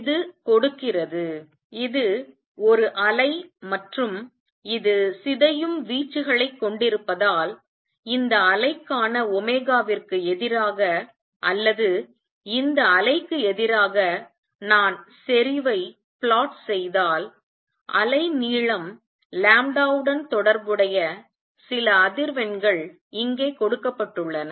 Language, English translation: Tamil, And this also gives then because this a wave and that has decaying amplitude, if I plot the intensity versus omega for this wave or versus new this wave it comes out to be peak that certain frequency which is related to the wavelength, given here lambda